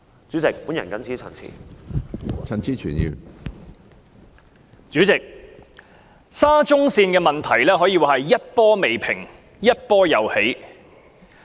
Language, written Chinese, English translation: Cantonese, 主席，沙田至中環線的問題可以說是一波未平一波又起。, President with regard to the Shatin to Central Link SCL it can be said that while a problem has yet been settled another is poised to arise